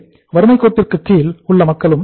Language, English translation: Tamil, No below poverty line people